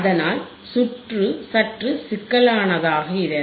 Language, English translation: Tamil, So, circuit becomes little bit more complex